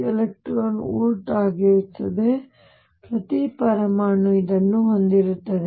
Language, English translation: Kannada, 6 e v, each atom has this